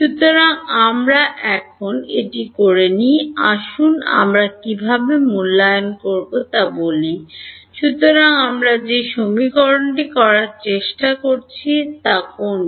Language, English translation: Bengali, So, for we have not done that so now, let us see how do we evaluate let us say, so which is the equation that we are trying to do